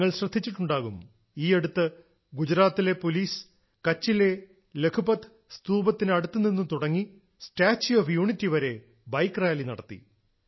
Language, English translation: Malayalam, You must have noticed that recently Gujarat Police took out a Bike rally from the Lakhpat Fort in Kutch to the Statue of Unity